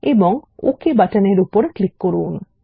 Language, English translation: Bengali, And let us click on the Ok button